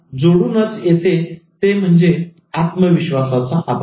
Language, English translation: Marathi, Combine with this is this lack of self confidence